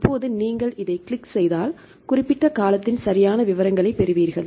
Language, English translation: Tamil, Now if you click on this one you will get the details of right the specific term